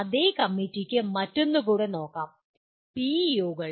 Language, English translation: Malayalam, The same committee can look at the other one as well, PEOs